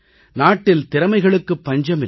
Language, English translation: Tamil, There is no dearth of talent in our country